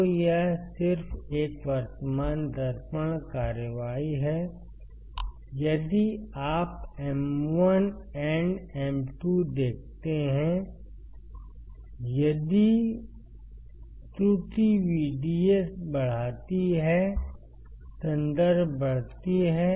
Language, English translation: Hindi, So, this is just a current mirror action, if you see M 1 and M 2 , if error increases my VDS my I reference increases